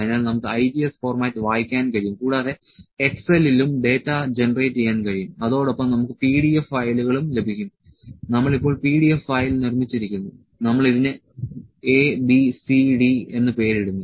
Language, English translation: Malayalam, So, we can read the IGES format, also the data can be generated in the Excel and also we can have the PDF file, we have now making the PDF file, we just named it a b c d